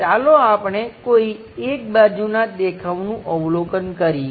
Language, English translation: Gujarati, Let us observe one of the side view